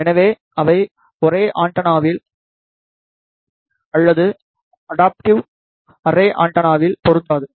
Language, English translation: Tamil, So, they are not suitable in the phase array antenna or in adaptive array antenna